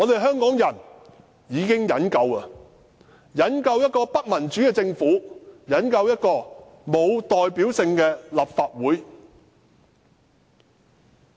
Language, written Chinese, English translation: Cantonese, 香港人忍夠了，忍夠了一個不民主的政府，忍夠了沒有代表性的立法會。, Hong Kong people have had enough . We have put up long enough with the Government which is undemocratic and the Legislative Council which lacks representation